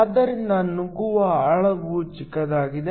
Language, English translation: Kannada, Hence, the penetration depth is small